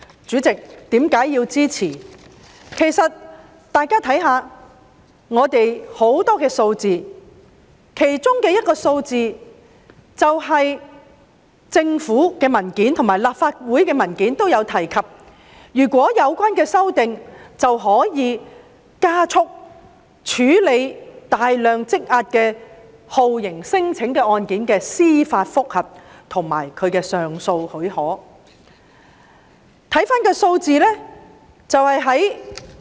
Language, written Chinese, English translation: Cantonese, 主席，其實大家可以看看很多數據，從而理解我支持《條例草案》的原因，當中一些數據是政府及立法會的文件也有提及的，如果通過有關修訂，便可加速處理大量積壓的酷刑聲請案件的司法覆核和上訴許可申請。, Actually President we can look at the statistics to understand why I support the Bill . Some of the statistics are also mentioned in the papers prepared by the Administration and the Legislative Council . The passage of the amendment will expedite the processing of a huge backlog of judicial review JR cases and cases of application for leave to appeal stemming from torture claims